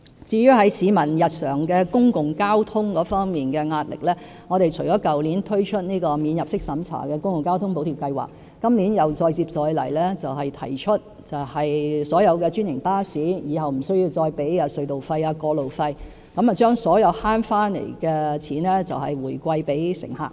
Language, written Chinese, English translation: Cantonese, 至於市民在日常公共交通費用方面的壓力，我們除了去年推出"免入息審查的公共交通費用補貼計劃"，我們今年再接再厲提出豁免所有專營巴士使用隧道和道路的費用，把所有節省下來的金錢回饋乘客。, As for the pressure of daily public transport fares on the people in addition to the Public Transport Fare Subsidy Scheme introduced last year we will keep up with our efforts this year by proposing to waive the tolls charged on franchised buses using tunnels and roads so that the savings thus made can be reciprocated to the passengers